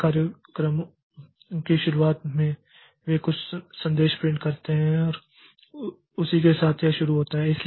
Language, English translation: Hindi, Many programs they start with the at the beginning it print some message and with that it starts